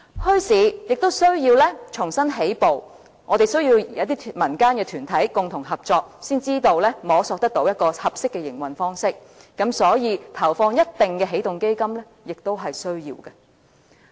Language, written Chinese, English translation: Cantonese, 墟市亦需要重新起步，我們需要民間團體共同合作，才能摸索出一個合適的營運方式，所以，投放一定金額的起動基金亦是需要的。, There must be a fresh start for the development of bazaars and we must cooperate with non - governmental organizations in order to identify a suitable mode of operation . Hence it is necessary to put in a certain sum of money as seed fund